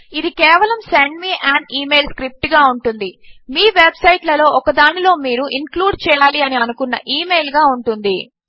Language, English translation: Telugu, This one will just be send me an email script the email that you want to include in one of your website